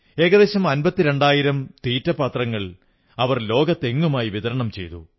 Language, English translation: Malayalam, Nearly 52 thousand bird feeders were distributed in every nook and corner of the world